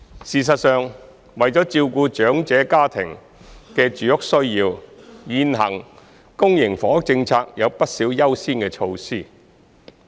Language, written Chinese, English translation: Cantonese, 事實上，為了照顧長者家庭的住屋需要，現行公營房屋政策有不少優先措施。, As a matter of fact there are quite a number of priority measures under the current public housing policy to address the housing needs of elderly families